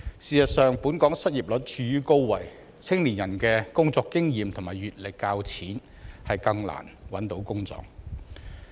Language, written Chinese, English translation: Cantonese, 事實上，本港失業率處於高位，年輕人的工作經驗和閱歷較淺，更難找到工作。, As a matter of fact the unemployment rate has remained high . With less working experience and exposure it is even more difficult for young people to find a job